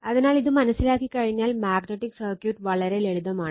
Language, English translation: Malayalam, So, once you understand this, you will find magnetic circuit is very simple right